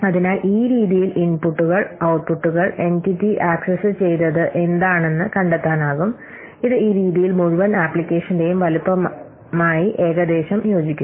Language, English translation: Malayalam, So in this way you can find out the inputs, outputs, entity accesses which roughly what correspond to the size of the whole application in this manner